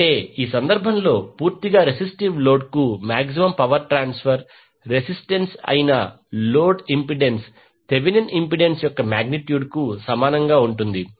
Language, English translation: Telugu, Tthat means that the maximum power transfer to a purely resistive load the load impedance that is the resistance in this case will be equal to magnitude of the Thevenin impedance